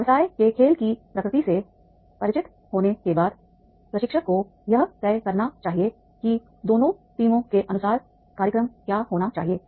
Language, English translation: Hindi, After becoming the familiar with the nature business game, the trainer should decide that is the what should be the schedule as per the both the teams